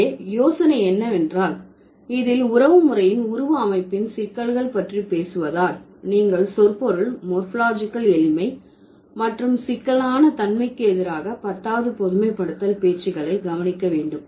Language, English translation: Tamil, The idea here is that, so now since we are talking about the complexities of morphological structure of kinship, so you need to notice the tenths generalization talks about the semantic and morphological simplicity versus complexity